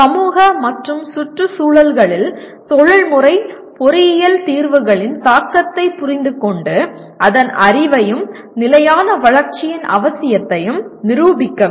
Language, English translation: Tamil, Understand the impact of professional engineering solutions in societal and environmental contexts and demonstrate the knowledge of, and the need for sustainable development